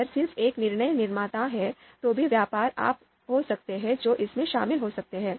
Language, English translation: Hindi, If there is just one decision maker, even then there could be trade offs that could be involved